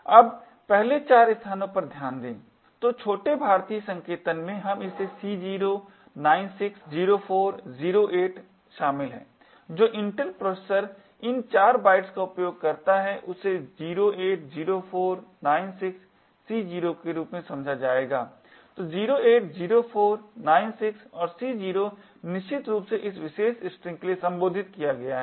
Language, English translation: Hindi, Now note the first 4 locations, so that contains of C0, 96, 04, 08 in little Indian notation which Intel processor use these 4 bytes would be interpreted as 08, 04, 96, C0, so 08, 04, 96 and C0 is essentially addressed for this particular string